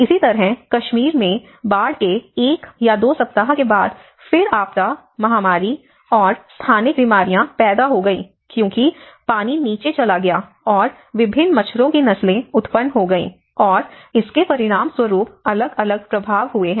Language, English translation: Hindi, Similarly, in Kashmir floods where after one week or two weeks then it has resulted a different set of disaster, the epidemic and endemic diseases because the water have went down and different mosquitos have breed, and it has resulted different set of impacts